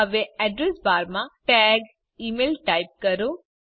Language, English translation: Gujarati, Now, in the Address bar, type the tag, email